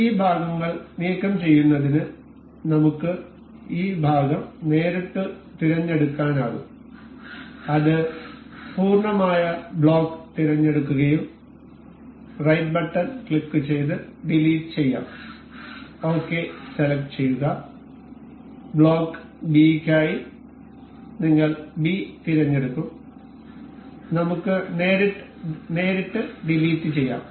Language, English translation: Malayalam, To remove these parts we can directly select the part this A that will select the complete block and we can right click, delete and we will select ok and for block B we will select B and we can directly press delete or yes